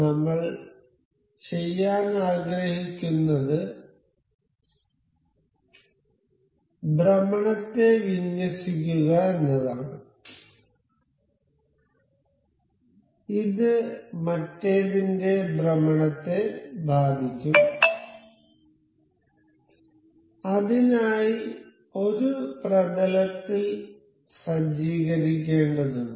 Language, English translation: Malayalam, So, what we intend to do is to align this rotation and this will impact the rotation of the other one for this, we have to set up you know them in a plane for that